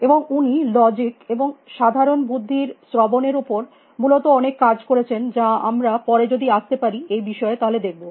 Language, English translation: Bengali, And he did lot of work on logic commonsense listening essentially, which will see if you can come to that later